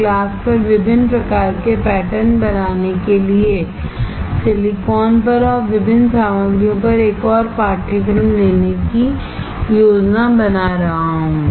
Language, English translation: Hindi, I am planning to take one more course on how to fabricate different kind of patterns on glass, on silicon, and on different materials